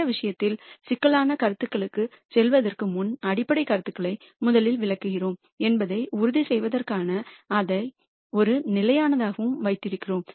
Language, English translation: Tamil, In this case we have kept that to be a constant just to make sure that we explain the fundamental ideas rst before moving on to more complicated concepts